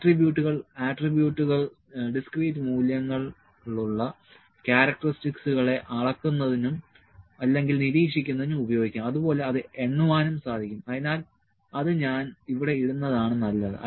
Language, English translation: Malayalam, Attributes; so attributes can be used to measure or to monitor the characteristics that have discrete values and can be counted so, I would better put it here